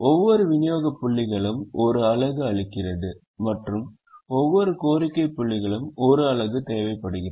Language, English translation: Tamil, each supply points supplies only one unit and each demand point requires only one unit